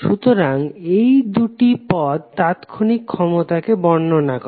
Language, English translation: Bengali, So these two terms are defining the instantaneous power